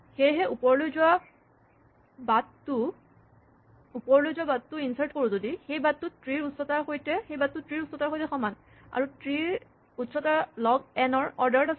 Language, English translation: Assamese, Therefore, insert walks up a path, the path is equal to the height of the tree, and the height of the tree is order of log n